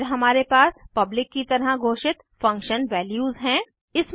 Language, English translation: Hindi, Then we have function values declared as public